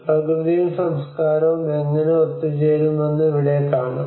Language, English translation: Malayalam, And here we can see that how the nature and culture can come together